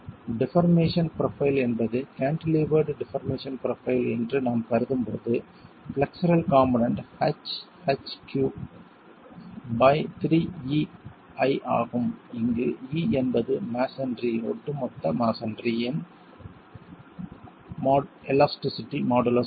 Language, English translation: Tamil, When we assume that the deformation profile is a cantilever deformation profile, the flexual component is the lateral force H into H by 3EI divided by 3EI, HQ by 3EI, where E here is the masonry, overall masonry modulus of elasticity